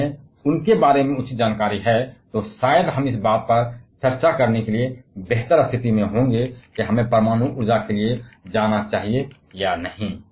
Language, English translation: Hindi, If we have proper knowledge about them, then probably we shall be in a much better position to discuss whether we should go for nuclear energy or not